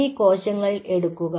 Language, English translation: Malayalam, these individual cells